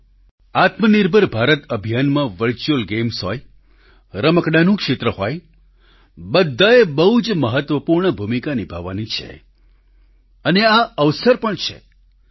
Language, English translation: Gujarati, Friends, be it virtual games, be it the sector of toys in the selfreliant India campaign, all have to play very important role, and therein lies an opportunity too